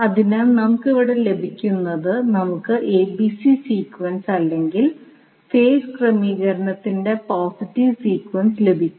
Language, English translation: Malayalam, So, what we get here we get ABC sequence or the positive sequence of the phase arrangement